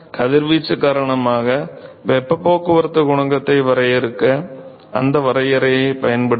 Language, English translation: Tamil, Use that definition to define heat transport coefficient because of radiation